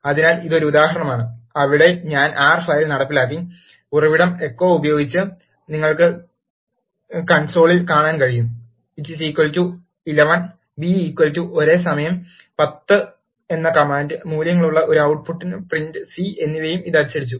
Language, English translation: Malayalam, So, this is an example, where I have executed the R file, using the source with echo, you can see, in the console, that it printed a the command a equal to 11 and the command b is equal to a time 10 and also the output print c of a, b with the values